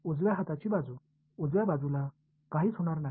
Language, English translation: Marathi, The right hand side, the right hand side nothing much will happen to it